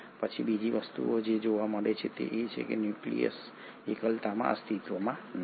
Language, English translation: Gujarati, Then the other thing which is observed is that this nucleus does not exist in isolation